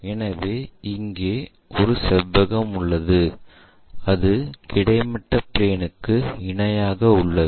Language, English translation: Tamil, So, we have a rectangle here and this is parallel to horizontal plane